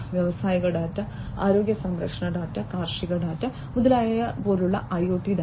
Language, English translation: Malayalam, IoT data like industrial data, healthcare data, agricultural data, and so on